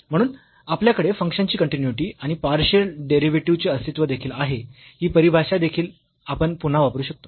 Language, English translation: Marathi, So, we have the continuity of the function and the existence of partial derivatives also we can use this definition again